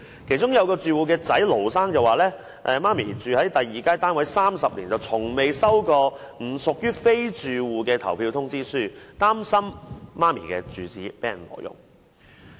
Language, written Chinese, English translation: Cantonese, 其中一名住戶的兒子盧先生表示，其母住在第二街單位30年，從未接獲不屬於住戶的投票通知書，擔心母親的住址被挪用。, The son of a household Mr LO said that his mother has been living in Second Street for 30 years and has never received an election notice not belonged to the household . He was worried that the address of his mother has been unduly used